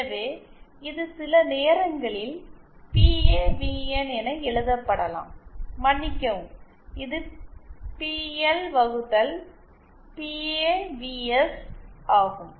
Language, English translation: Tamil, So this is sometimes this is can be written as PAVN, sorry this is PL upon PAVS